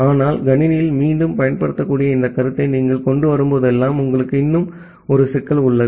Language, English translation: Tamil, But whenever you are bringing this concept of reusability in the system, you still have a problem